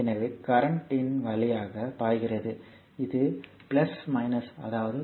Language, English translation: Tamil, So, current is flowing like this right